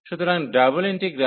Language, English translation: Bengali, So, the double integral